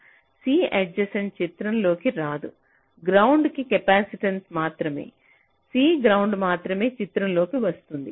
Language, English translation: Telugu, so c adjacent will not come in to the picture, only the capacitance to ground, only c ground will come into the picture